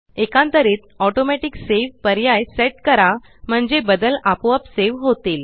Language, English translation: Marathi, Alternately, set the Automatic Save option so that the changes are saved automatically